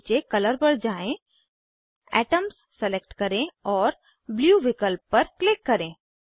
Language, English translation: Hindi, Scroll down to Color select Atoms and click on Blue option